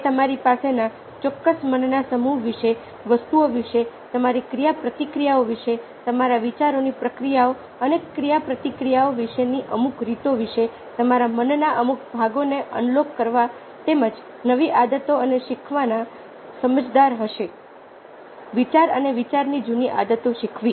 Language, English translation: Gujarati, they are rough indicators about certain mind sets that you have, about certain ways you feel about things, about ah, your interactions, how your thought processes are interactions and they would be in unlocking in certain parts of your mind, as well as learning new habits and unlearning old habits of thought and thinking